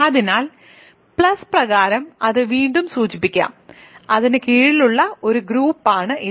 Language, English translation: Malayalam, So, let us denote again that by plus and it is a group under that